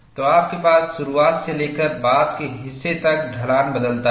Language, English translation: Hindi, So, you have slope changes, from the initial to later part